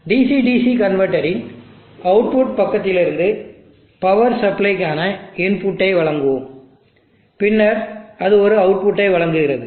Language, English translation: Tamil, Let us draw the input to the power supply from the output side of the DC DC converter which is the power supply and then it provides an output